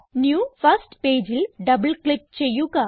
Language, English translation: Malayalam, Now double click on the new first page